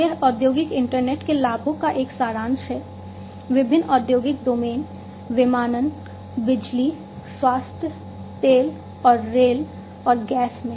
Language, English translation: Hindi, This is a summary of the advantages of the industrial internet, in different industrial domains aviation power health oil and rail and gas